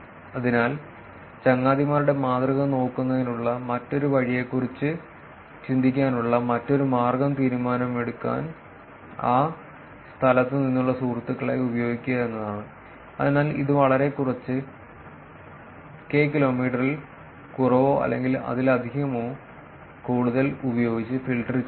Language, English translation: Malayalam, So, another way just think about the another way of looking at the friends model is the use the friends from that location to make the decision, so that is filtering with a very few, less than k kilometers, or too many that is more than k max friends out of the inference process